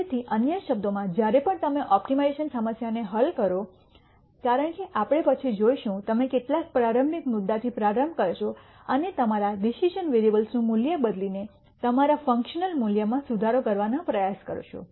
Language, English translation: Gujarati, So, in other words whenever you solve an optimization problem as we will see later, you will start with some initial point and try to keep improving your function value by changing the value of your decision variable